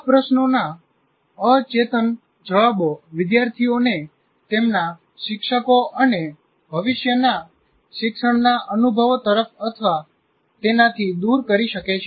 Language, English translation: Gujarati, And unconscious responses to these questions can turn the students toward or away from their teachers and future learning experiences